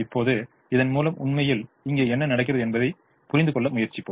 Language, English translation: Tamil, now let's try to understand what is actually happening here through through this